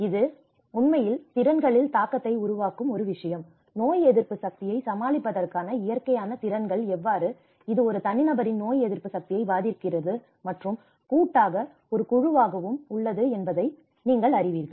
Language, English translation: Tamil, And this is one thing which is actually creating an impact on the abilities how the natural abilities to cope up the immunities, you know it is affecting the immunity of an individual and collectively as a group as well